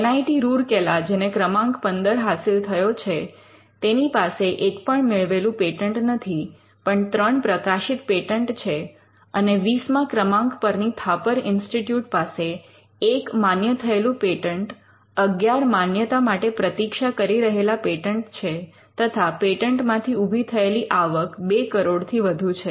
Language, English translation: Gujarati, NIT Rourkela, which was Rank 15, does not have any granted patents, but it has got 3 patents published and Rank 20th which is Thapar institute has 1 patent granted, 11 pending and it has generated some amount using their patents in close to in excess of 2 crores